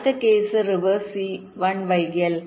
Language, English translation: Malayalam, next case: reverse, where c one is delayed